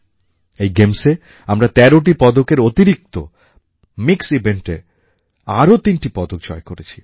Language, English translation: Bengali, At this event we won 13 medals besides 3 in mixed events